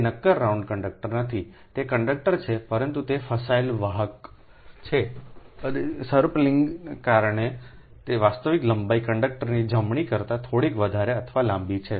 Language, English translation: Gujarati, it is not a solid round conductor, it is conductor if it is stranded, stranded conductor right, and because of spiralling that actual length is slightly or longer than the conductor itself right